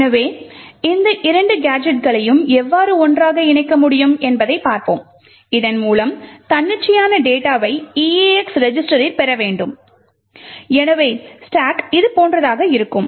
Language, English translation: Tamil, So, let us see how we can stitch these two gadgets together so that we can get arbitrary data into the eax register so the stack would look something like this